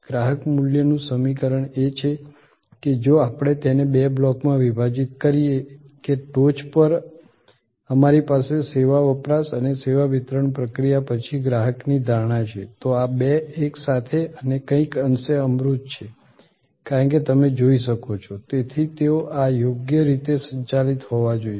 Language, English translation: Gujarati, The customer value equation is that if we divided it in two blocks that on the top we have customer perception after service consumption and the service delivery process, these two together and these are somewhat intangible as you can see therefore, these they will have to be properly managed